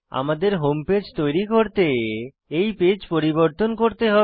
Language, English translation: Bengali, I have modified this page to create our home page